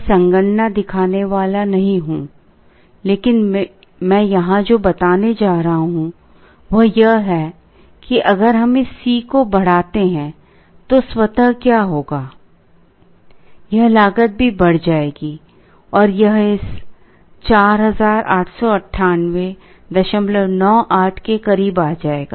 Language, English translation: Hindi, I am not going to show the computations, but what I am going to tell here is that if we increase this C s, then automatically what will happen is, this cost will also increase and this will come closer to this 4898